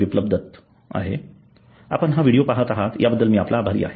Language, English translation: Marathi, Biplab Datta and thank you for watching this video